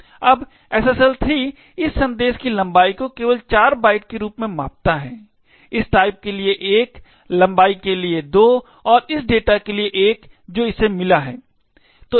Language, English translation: Hindi, Now, the SSL 3 measures the length of this message as just 4 bytes, 1 for this type, 2 for length and 1 for this data which it has found